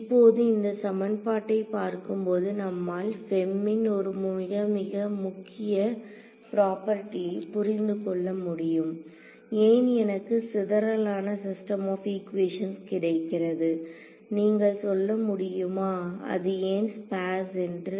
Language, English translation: Tamil, Now, looking at this equation, we should be able to understand one very very key property of f e m why do I get a sparse system of equations, can you can you tell me why is it sparse